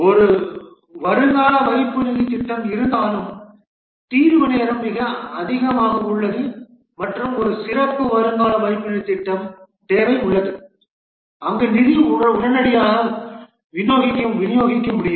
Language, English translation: Tamil, Though there is a provident fund scheme, but the settlement time is very high and there is a need for a special provident fund scheme where the fund can be disbursed immediately